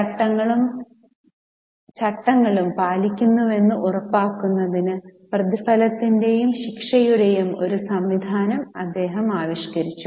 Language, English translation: Malayalam, He devised a system of reward and punishment to ensure compliance of rules and regulation